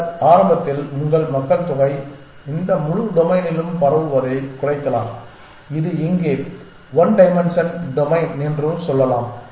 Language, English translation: Tamil, Then initially you are population may be decrease sort of spread over this whole domain where this is the let us say one dimensional domain